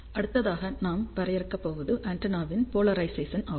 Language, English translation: Tamil, The next thing which we are going to define is polarization of antenna